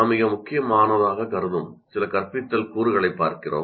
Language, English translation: Tamil, And here we look at some instructional components which we consider most important